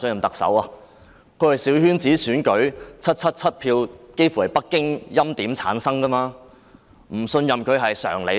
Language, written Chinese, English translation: Cantonese, 她是透過小圈子選舉取得777票，幾乎全由北京欽點產生，不信任她是常理吧？, Returned by 777 votes at a small - circle election she was almost entirely hand - picked by Beijing . The lack of confidence in her is common sense is it not?